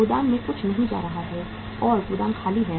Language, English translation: Hindi, Nothing is going to the warehouse and warehouse is empty